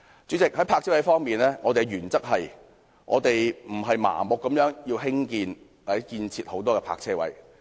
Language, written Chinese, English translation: Cantonese, 主席，在泊車位方面，我們的原則是，我們不會盲目要求興建或建設很多泊車位。, President in respect of parking spaces our principle is that we will not blindly seek to construct or provide a lot of parking spaces